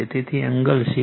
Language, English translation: Gujarati, So, angle 76